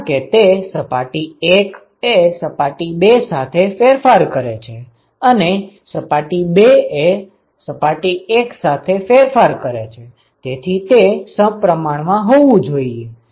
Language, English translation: Gujarati, Because if surface 1 is exchanging with surface 2, surface 2 is in turn exchanging with 1 so it has to be symmetric